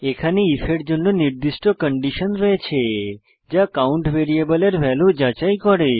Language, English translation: Bengali, Here we have specified a condition for if which checks the value of variable count